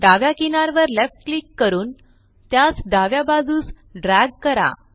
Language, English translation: Marathi, Left click the left edge and drag it to the left